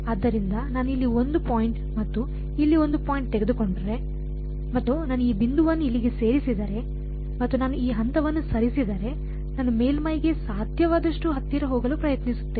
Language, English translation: Kannada, So, if I take 1 point over here and 1 point over here and I move this point over here, and I move this point I am trying to move as close as possible to the surface